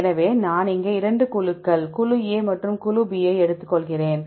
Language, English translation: Tamil, So, if I here, I take 2 groups group A and group B